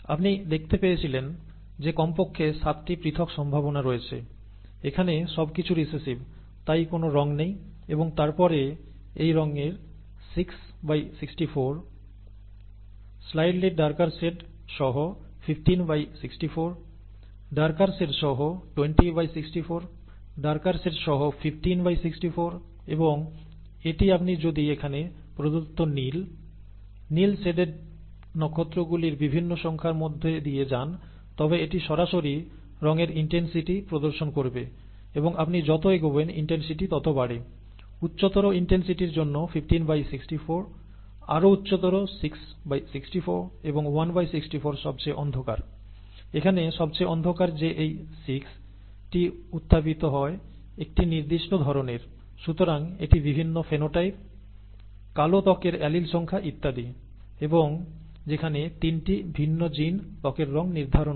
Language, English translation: Bengali, As you could see at least 7 different possibilities exist, no colour at all when everything is recessive here and then 6 by 64 of this colour, 15 by 64 of a slightly darker shade, 20 by 64 of a darker shade, 15 by 64 of a darker shade and this can be obtained if you do, if you go through the various numbers of the blue, bluely shaded stars that are given here, that would directly show the intensity of the colour here and as you go along the intensity increases, 15 by 64 for higher intensity, 6 by 64 even higher and 1 by 64 the darkest, the darkest possible here that arises of all these 6 are of a certain kind, okay